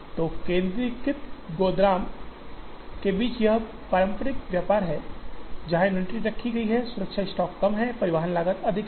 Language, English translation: Hindi, So, there is this traditional trade off between a centralized warehouse, where the inventory is kept, the safety stock is less, transportation costs are more